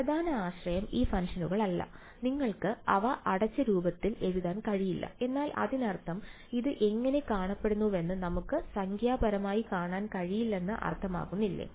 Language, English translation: Malayalam, The main idea is that these functions are not you cannot write them in closed form ok, but that does not mean we cannot numerically see what it looks like